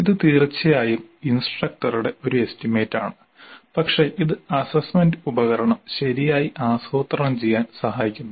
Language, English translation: Malayalam, This is definitely an estimate by the instructor but it does help in planning the assessment instrument properly